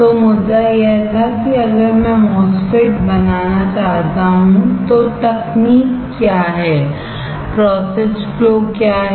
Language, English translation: Hindi, So, the point was that if I want to fabricate a MOSFET then what is the technique, what are the process flow